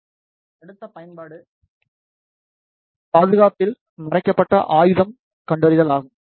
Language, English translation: Tamil, In the next application is the concealed weapon detection at security